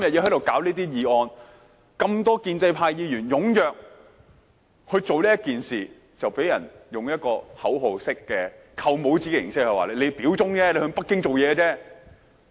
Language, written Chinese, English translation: Cantonese, 這麼多建制派議員踴躍做這件事，便被人以口號式、"扣帽子"形式說我們表忠，為北京做事。, So many pro - establishment Members are keen on this matter only to be labelled in a slogan - like fashion as pledging allegiance to and serving Beijing